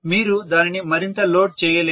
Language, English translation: Telugu, You can’t load it further